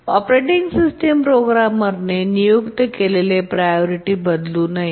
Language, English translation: Marathi, The operating system should not change a programmer assigned priority